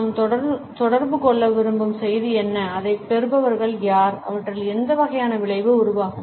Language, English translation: Tamil, What exactly is the message which we want to communicate, who are the recipients of it and what type of effect would be generated in them